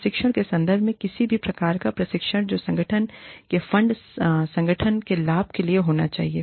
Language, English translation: Hindi, In terms of training, any kind of training, that the organization funds, should be for the benefit of the organization